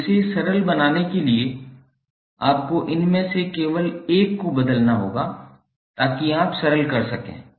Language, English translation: Hindi, Now, to simplify it, you have to just transform onE1 of these so that you can simplify